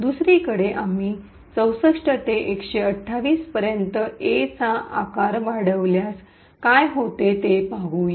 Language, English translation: Marathi, On the other hand, if we increase the size of A from say 64 to 128 let us see what would happen